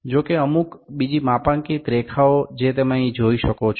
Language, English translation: Gujarati, However, the certain other calibration lines that you can see here